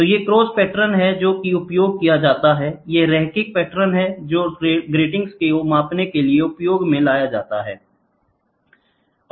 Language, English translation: Hindi, So, these are cross patterns which are used, these are linear patterns which are used to measure the gratings